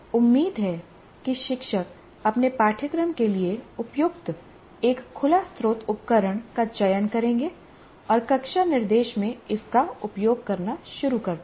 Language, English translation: Hindi, So hopefully the teachers would select an open source tool appropriate to his course and start using in your classroom instruction